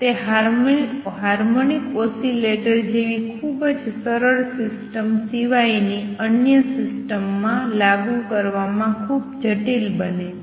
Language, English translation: Gujarati, It becomes quite complicated in applying to systems other than very simple system like a harmonic oscillator